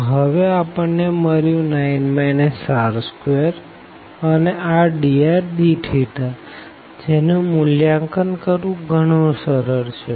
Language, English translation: Gujarati, So, we got this 9 minus r square and r dr d theta which again it is a very simple to evaluate